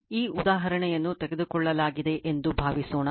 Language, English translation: Kannada, Suppose this is the example is taken this example right